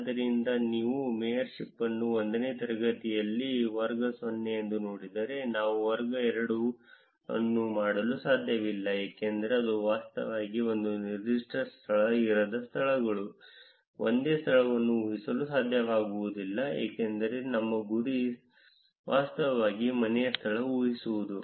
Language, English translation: Kannada, So, if you look at mayorship it is class 0 on class 1, we cannot do class 2 because it is actually the places where a particular location cannot be, one single location cannot be inferred, which is because our goal is to infer actually the home location